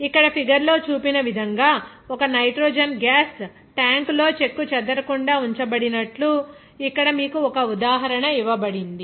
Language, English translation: Telugu, Like here one example is given to you, like a nitrogen gas is kept intact in a tank as shown in figure here